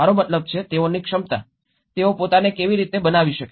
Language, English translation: Gujarati, I mean capacity, how they can build themselves